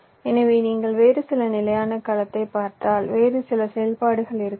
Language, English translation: Tamil, so if you look at some other standard cell, maybe some other functionality, so this will also look very similar